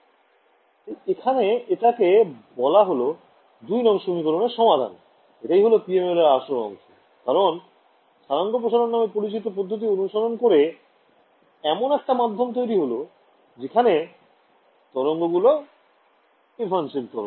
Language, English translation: Bengali, So, this is why I said that this a solution to equation 2, this is at the heart of PML because, by doing a so called coordinate stretching, effectively I am generating a medium where the waves are evanescent ok